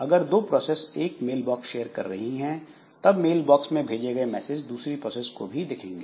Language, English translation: Hindi, So if two processes they share some mail box, then mails send to one mailbox by one process will be visible to the other one also